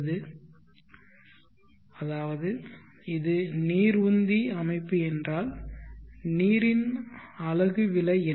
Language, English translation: Tamil, Meaning that if it is water pumping system, what is the cost of the unit of the water